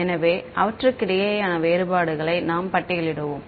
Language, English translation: Tamil, So, we will just list out the differences between them